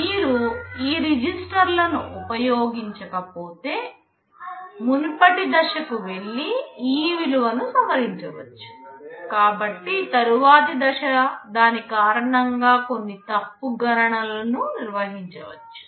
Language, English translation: Telugu, If you do not use this registers, then the previous stage can go and modify this value, so the next stage might carry out some wrong computation because of that